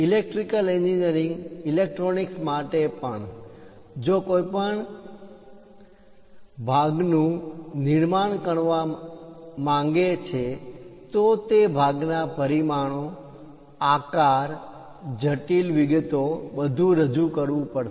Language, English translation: Gujarati, Even for electrical engineering electronics, if someone would like to manufacture a component that component has to be represented clearly, the dimensions, the size, what are the intricate details, everything has to be represented